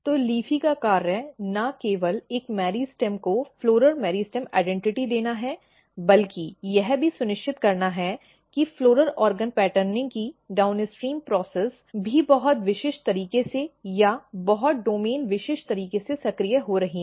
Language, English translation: Hindi, So, function of LEAFY is not only to give a meristem floral meristem identity, but also to ensure that downstream processes of floral organ patterning is also getting activated in a very specific manner or in a very domain specific manner